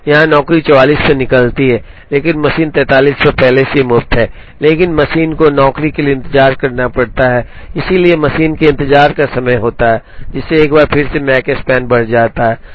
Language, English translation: Hindi, Here the job comes out at 44, but the machine is already free at 43, but the machine has to wait for the job to come, so there is a machine waiting time of, one which again increases the Makespan